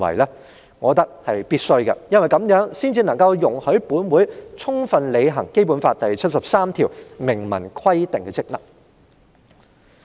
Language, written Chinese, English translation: Cantonese, 我覺得是必須的，因為這樣才能夠容許本會充分履行《基本法》第七十三條明文規定的職能。, I consider it necessary because this Council can then duly perform its functions as specified in Article 73 of the Basic Law